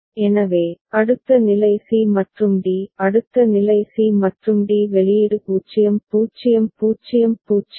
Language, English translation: Tamil, So, next state is c and d; next state is c and d output is 0 0 0 0